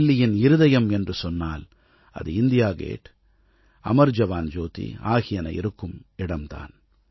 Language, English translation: Tamil, This new memorial has been instituted in the heart of Delhi, in close vicinity of India Gate and Amar JawanJyoti